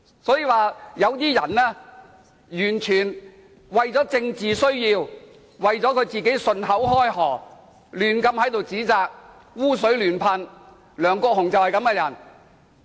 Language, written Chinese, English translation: Cantonese, 所以，有些人完全是為了政治需要，便信口開河，在此胡亂指責，"污水"亂噴，梁國雄議員就是這種人。, Therefore some people made thoughtless comments and slung mud at others in an irresponsible manner simply to achieve their political purpose . Mr LEUNG Kwok - hung is exactly this kind of man